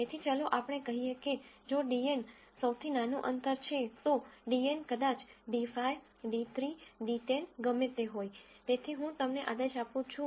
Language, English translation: Gujarati, So, let us say if dn is the smallest distance, so dn maybe d 5, d 3, d 10, whatever it is, so I order them